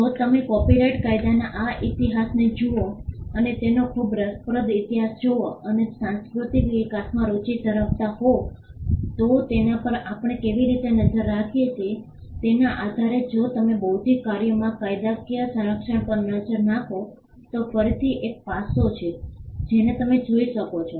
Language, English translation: Gujarati, If you look at this history of copyright law and its quite a fascinating history depending on how we look at it if you are interested in the cultural development you can look at the history in a different perspective, if you look at legal protection of intellectual works again there is an aspect which you can look at